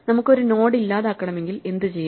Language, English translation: Malayalam, What if we want to delete a node